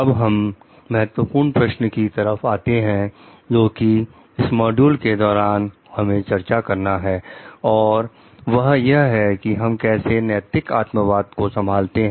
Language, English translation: Hindi, Now, we will come to the key question for this module which is how can we handle ethical subjectivism